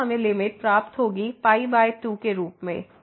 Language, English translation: Hindi, So, we will get limit as pi by